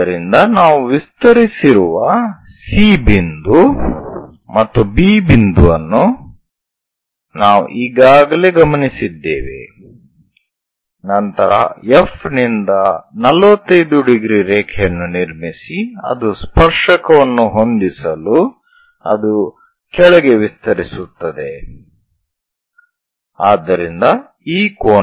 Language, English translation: Kannada, So, already we have noted C point and B point this we have extended, then from F a 45 degree line we have to construct it extend all the way down to meet tangent, so this angle is 45 degrees